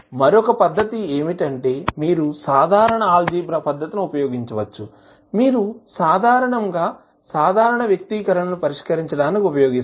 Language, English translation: Telugu, Another method is that you can use simple algebraic method, which you generally use for solving the general expressions